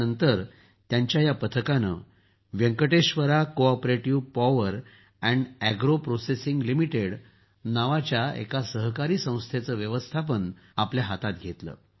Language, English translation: Marathi, After this his team took over the management of a cooperative organization named Venkateshwara CoOperative Power &Agro Processing Limited